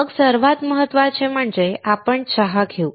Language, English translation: Marathi, [FL] Then most importantly we have tea